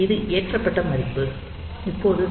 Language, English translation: Tamil, So, this is value that is loaded, now we compliment p 1